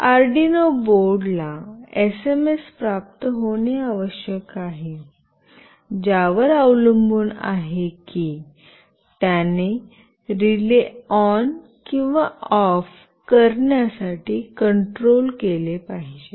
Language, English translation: Marathi, The Arduino board must receive the SMS, depending on which it should control this relay to make it ON or OFF